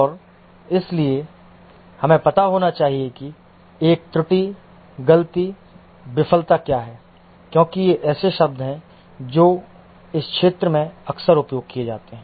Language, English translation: Hindi, And therefore, we must know what is a error, mistake, fault, failure, because these are the terms that are frequently used in this area